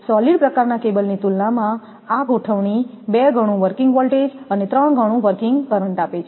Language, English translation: Gujarati, In comparison with a solid type cable, this construction gives twice the working voltage and about 1 and a half times the working current